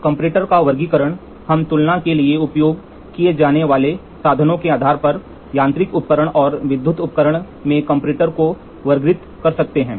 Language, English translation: Hindi, Classification of comparator, we can classify comparator into mechanical device and electrical device on the on the basis of the means used for comparison